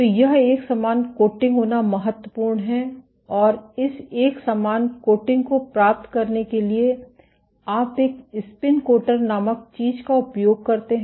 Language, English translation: Hindi, So, this it is important to have a uniform coating and to achieve this uniform coating you use something called a spin coater